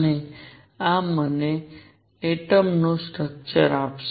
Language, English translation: Gujarati, And this would give me structure of atom